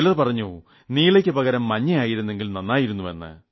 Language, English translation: Malayalam, Someone said, 'yellow here would have been better in place of blue